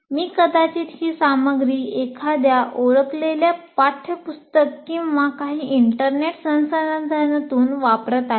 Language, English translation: Marathi, I may be using this material from a particular textbook or some internet resource